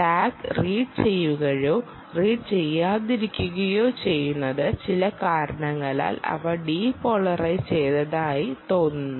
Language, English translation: Malayalam, so tag being read or not read could also mean that they seem to be depolarized for some reason